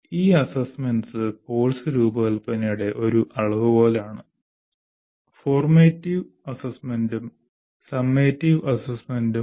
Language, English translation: Malayalam, This is what we, this assessment is a major part of course design, both formative assessment and summative assessment that we will presently see